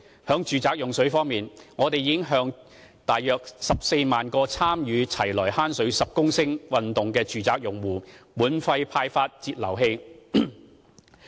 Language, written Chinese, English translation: Cantonese, 在住宅用水方面，我們已向大約14萬個參與"齊來慳水十公升"運動的住宅用戶，免費派發節流器。, As for domestic water consumption we have distributed flow controllers free of charge to some 140 000 domestic customers participating in the Lets Save 10L Water campaign